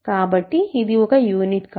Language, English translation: Telugu, So, it is not a unit